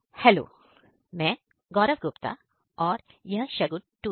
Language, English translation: Hindi, My name is Gaurav Gupta and he is Shagun Tudu